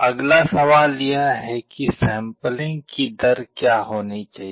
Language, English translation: Hindi, The next question is what should be the rate of sampling